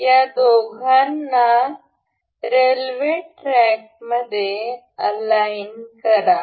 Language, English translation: Marathi, Align these two in the rail track